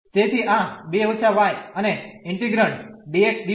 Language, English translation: Gujarati, So, this 2 minus y and the integrand dx dy